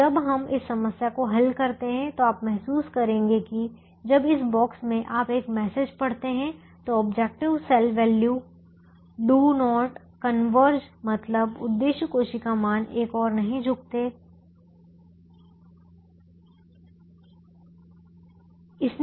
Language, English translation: Hindi, so when we solve this problem you will realize that when in this box you read a message called the objective cell values do not converge, it has not given a solution